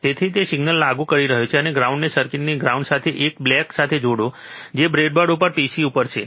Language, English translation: Gujarati, So, he is applying signal, and you will connect this ground which is black 1 to the ground of the circuit, that is on the pc on the breadboard, alright